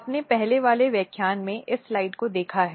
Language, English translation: Hindi, So, this slide you would have already seen in previous lectures